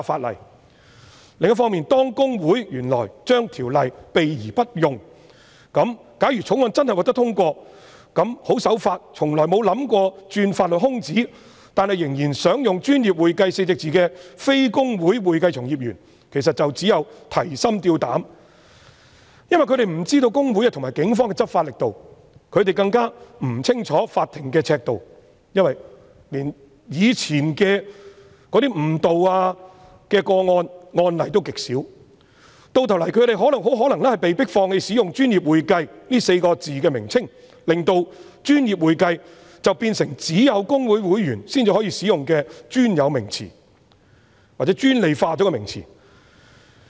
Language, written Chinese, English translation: Cantonese, 另一方面，公會原來對《條例》避而不用，假如《條例草案》真的獲得通過，那麼十分守法，從來沒有意圖鑽法律空子，但仍然想使用"專業會計"稱謂的非公會會計從業員便會提心吊膽，因為他們不知道會公會和警方的執法力度，他們更不清楚法庭的尺度，因為連過去的誤導個案及案例也極少，到頭來他們很可能被迫放棄使用"專業會計"的稱謂，令"專業會計"變成只有公會會員才能使用的專有名詞，或專利化的名詞。, If the Bill is passed law - abiding accounting practitioners not registered with HKICPA who only wish to use the description professional accounting without any intention to exploit the legal loopholes will be very worried . That is because they do not know the strength of law enforcement of HKICPA and the Police nor the criteria to be adopted by the courts since there are very few cases and precedents of false identification in the past . In the end they may be compelled to give up using the description professional accounting